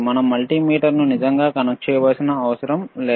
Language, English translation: Telugu, We do not have to really connect a multimeter ;